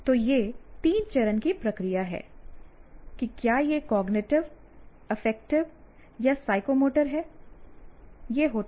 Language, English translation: Hindi, So, this is a three step process that whether it is cognitive, affective or psychomotor, it happens